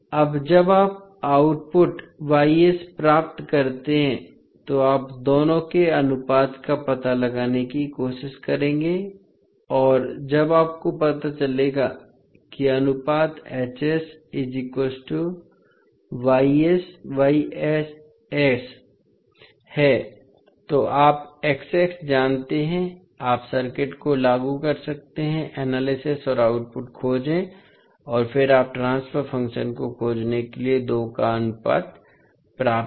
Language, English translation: Hindi, Now when you get the output Y s, then you will try to find out the ratio of the two and when you find out the ratio that is a H s equal to Y s upon X s, you know X s, you can apply the circuit analysis and find the output and then you obtain the ratio of the two to find the transfer function